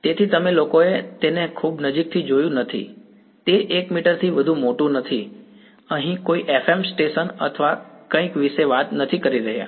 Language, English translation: Gujarati, So, you guys have not seen it very close right it is not bigger than 1 meter right, we I am not talking about some FM station or something